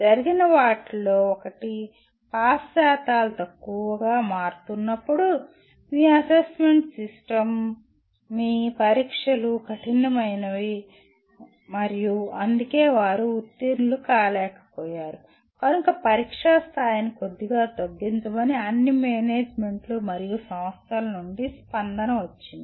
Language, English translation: Telugu, One of the things that happened is, when the pass percentages are or let us are becoming smaller and smaller, then the reaction had been of all managements and institutions saying that, that your assessment system, your examinations are tough and that is why they did not pass so you kind of water down the level of the examination